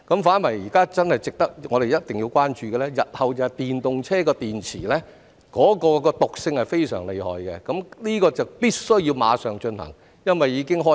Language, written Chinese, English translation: Cantonese, 反而現在我們真的一定要關注的是，日後電動車的電池毒性是非常厲害的，有關工作必須馬上進行，因為此事已經開始了。, Actually what we really must be concerned about now is the severe toxicity of EV batteries in the future . The relevant work must be carried out immediately because the issue has already emerged